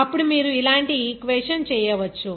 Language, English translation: Telugu, Then you can make an equation like this